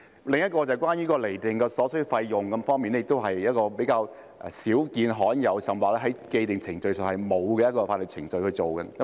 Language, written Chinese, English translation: Cantonese, 另一項是關於釐定所需費用方面，亦是比較少見和罕有的，甚或在既定程序上，是沒有法律程序去處理的。, It will also take a long time to enforce the judgment afterwards . Another point concerns the determination of fees which is also relatively rare and uncommon or there is even no legal procedure to deal with it under the established procedures